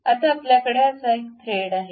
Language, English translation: Marathi, Now, we have such kind of thread